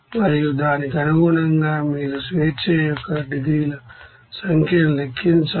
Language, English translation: Telugu, And also, accordingly you have to calculate what should be the number of degrees of freedom